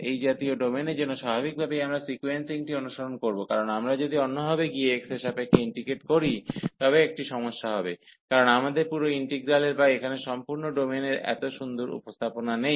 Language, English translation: Bengali, So, for such domain naturally we will follow the sequencing because if we go the other way round that first we integrate with respect to x, then there will be a problem, because we do not have a such a nice representation of this whole integral so or whole domain here